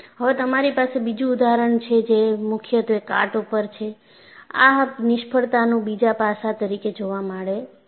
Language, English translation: Gujarati, And now, you have another example, which is predominantly corrosion and also, another aspect is seen in this failure